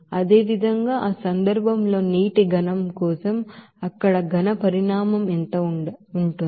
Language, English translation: Telugu, Similarly, for water solid in that case what will be the amount of solid there